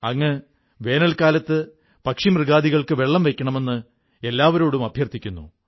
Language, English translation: Malayalam, You have urged one and all to retain and keep aside some water for birds & animals, during summer time